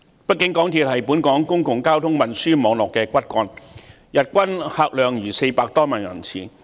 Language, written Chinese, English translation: Cantonese, 畢竟，港鐵是本港公共交通運輸網絡的骨幹，日均客量達400多萬人次。, The MTR is after all the backbone of our public transport system with an average daily patronage of more than 4 million passengers